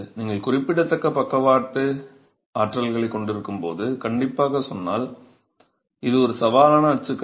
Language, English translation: Tamil, It's a challenging typology strictly speaking when you have significant lateral forces